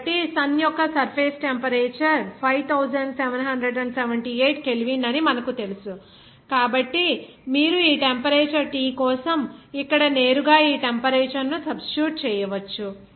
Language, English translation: Telugu, So, since we know that surface temperature of the Sun is 5778 K, so you can directly substitute this temperature here for this temperature T